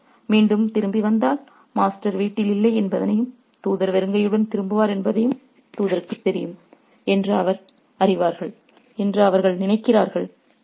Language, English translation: Tamil, And they think that if the messenger returns again, they'll know that, you know, the messenger would know that the master is not at home and the messenger would return empty handed